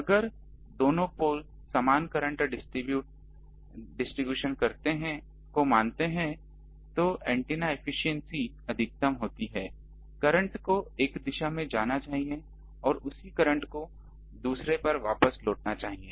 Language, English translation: Hindi, If these two poles assume same current distribution the radiation efficiency is maximum the current should go in one direction and the same current should return to the other one